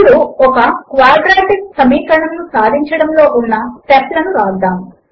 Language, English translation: Telugu, Let us now write the steps to solve a Quadratic Equation